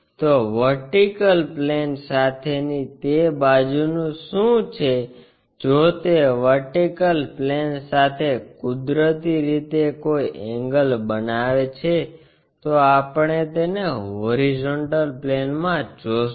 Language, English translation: Gujarati, So, what about that side with vertical plane if it is making naturally any angle making with vertical plane we will see it in the horizontal plane